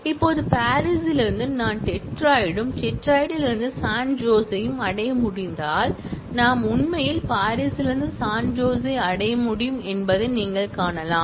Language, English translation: Tamil, Now, you can see that from Paris, if I can reach Detroit and from Detroit I can reach San Jose, then I can actually reach San Jose from Paris